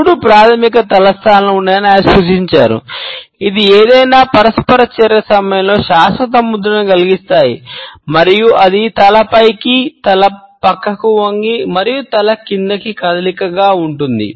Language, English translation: Telugu, He has suggested that there are three basic head positions, which leave a lasting impression during any interaction and that is the head up, the head tilts and the head down movement